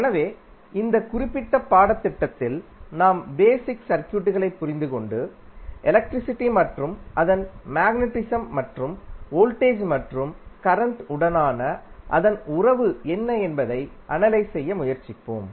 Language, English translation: Tamil, So, in this particular course we will try to understand the basic circuits and try to analyse what is the phenomena like electricity and its magnetism and its relationship with voltage and current